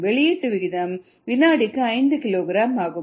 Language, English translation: Tamil, rate of output is five kilogram per second